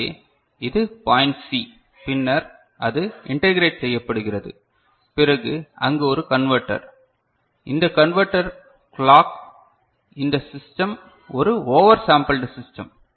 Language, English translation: Tamil, So, this is point C right and then it is integrated and then there is a converter, which is this converter clock which is, this particular system is a over sampled system